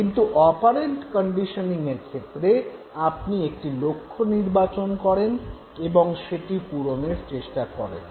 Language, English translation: Bengali, Whereas in the case of operant conditioning there is a goal that you set for yourself